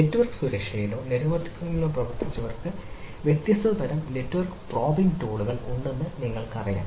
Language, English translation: Malayalam, so in order to do that, those who have worked on network security or networking per se, you know that there are different type of network probing tools are available